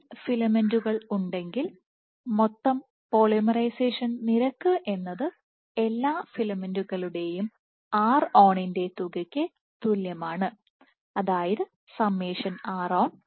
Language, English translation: Malayalam, If there are n filaments, so, net polymerization rate is simply equal to summation of ron for all the filaments